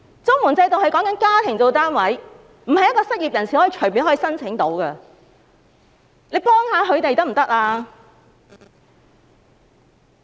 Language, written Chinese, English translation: Cantonese, 綜援制度是以家庭為單位，並非一名失業人士可以隨便申請的。, The CSSA Scheme is a household - based programme which means an unemployed person cannot apply for it casually